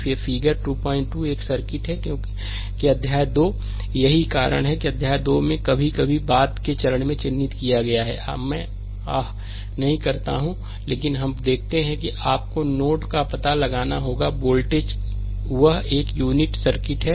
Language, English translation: Hindi, 3, a because chapter 3, that is why marking chapter 3 sometimes in the later stage, I do not ah, but let us see that you have to find out the node voltages, that is a unit circuit